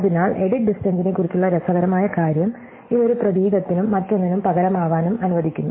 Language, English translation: Malayalam, So, the interesting thing about edit distance is that it also allows a substitution of one character and other